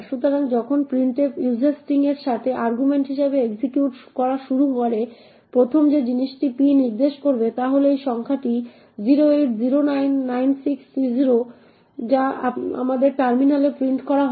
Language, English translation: Bengali, So, when printf starts to execute with user string as the argument the first thing p would be pointing to is this number 080996C0 which gets printed on our terminal